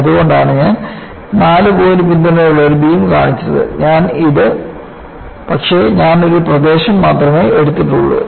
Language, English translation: Malayalam, That is why I have shown a beam with 4 point supports, butI have taken only a region